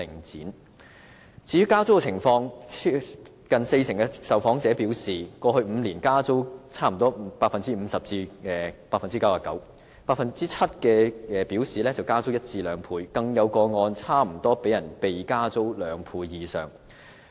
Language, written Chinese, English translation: Cantonese, 至於加租的情況，近四成受訪者表示，過去5年加租差不多 50% 至 99%， 有 7% 受訪者表示加租一倍至兩倍，更有個案差不多被加租兩倍以上。, As regards rent increases over the past five years close to 40 % and 7 % of the interviewees indicated that their rents had risen by nearly 50 % to 99 % and 100 % to 200 % respectively . In some cases the rents have more than tripled